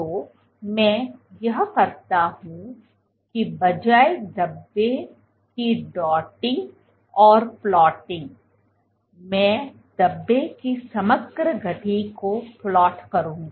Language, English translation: Hindi, So, what I will do is instead of dotting plotting the speckles I will plot what is the overall motion of the speckles